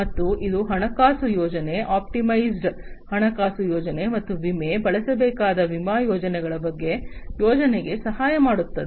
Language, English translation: Kannada, And this will help in financial planning, optimized financial planning and insurance, you know planning about the insurance schemes that will have to be used